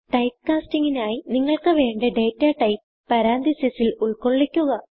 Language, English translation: Malayalam, Typecasting is done by enclosing the data type you want within parenthesis